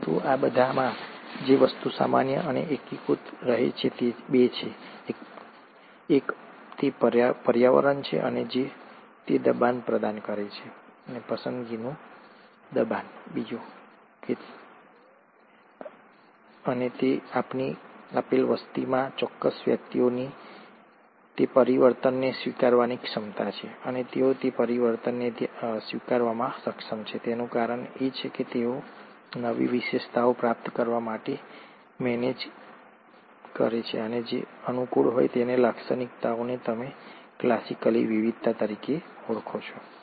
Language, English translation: Gujarati, But, thing which remains common and unifying across all this are two; one, it's the environment, which provides that pressure, the selection pressure, and two, it is the ability of a certain individuals in a given population to adapt to that change, and the reason they are able to adapt to that change is because they manage to acquire new characteristics which are favourable, and these characteristics is what you classically call as variations